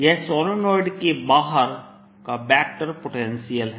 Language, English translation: Hindi, that is a vector, ah, vector potential outside the solenoid